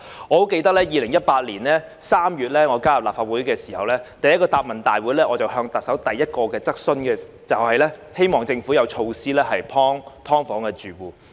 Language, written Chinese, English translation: Cantonese, 我記得在2018年3月加入立法會後第一個行政長官答問會，我向特首提出的第一項質詢，就是希望政府有措施幫助"劏房"的住戶。, As I recall in the first question I put to the Chief Executive during the first Chief Executives Question and Answer Session I attended after joining the Legislative Council in March 2018 I expressed my hope for the Governments measures to help SDU tenants